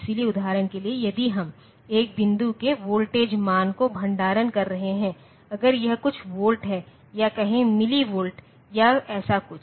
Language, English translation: Hindi, So, for example, if we are storing say the voltage value of a point, so, it is few volts or say milli volts or something like that